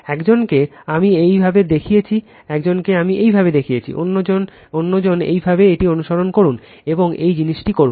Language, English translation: Bengali, One I showed it for you, one I showed it for you other you follow it and do the same thing the simple thing